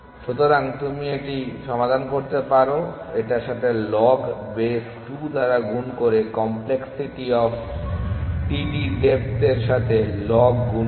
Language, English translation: Bengali, So, you can solve this its multiplied by log to the base 2 from the depth of the complexity of td multiply take the log of that